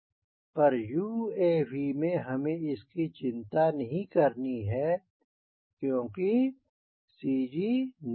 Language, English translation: Hindi, but in our uav we dont have to worry about that since cg does not vary